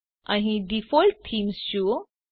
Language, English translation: Gujarati, See the Default Theme here